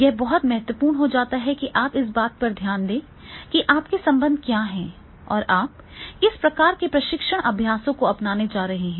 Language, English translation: Hindi, So it has to be taken into the consideration that is what is your linkages and what type of the training practices you are going to adopt